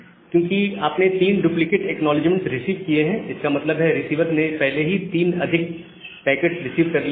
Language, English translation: Hindi, Why 3, because you have received three duplicate acknowledgement that means, the receiver has already received three more packets